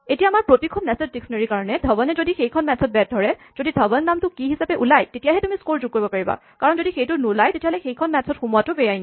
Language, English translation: Assamese, Now for each match in our nested dictionary, if Dhawan is entered as a batsman in that match, so if a name Dhawan appears as the key in score for that match then and only then you add a score, because if it does not appear it is illegal to access that match